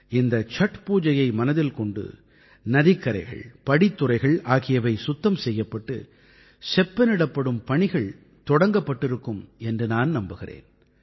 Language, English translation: Tamil, I hope that keeping the Chatth Pooja in mind, preparations for cleaning and repairing riverbanks and Ghats would have commenced